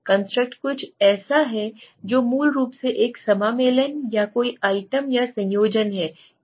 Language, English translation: Hindi, A construct is something that is basically a amalgamation or combination of several items right